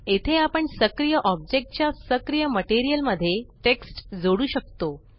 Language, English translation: Marathi, Here we can add a texture to the active material of the active object